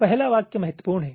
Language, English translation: Hindi, ok, the first sentence is important